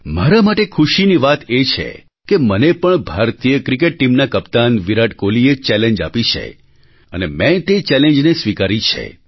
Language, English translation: Gujarati, For me, it's heartwarming that the captain of the Indian Cricket team Virat Kohli ji has included me in his challenge… and I too have accepted his challenge